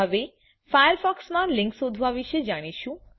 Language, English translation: Gujarati, Now lets learn about searching for links in firefox